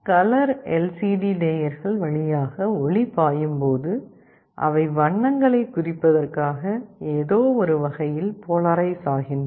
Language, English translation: Tamil, And light is projected, when light flows through the layers for a color LCD, they are polarized in some way, which represent colors